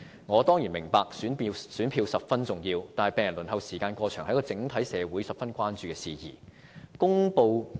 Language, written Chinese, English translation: Cantonese, 我當然明白選票十分重要，但病人輪候時間過長是整個社會十分關注的事宜。, I certainly understand that votes matter much but the unduly long waiting time faced by patients is of the utmost concern to the community as a whole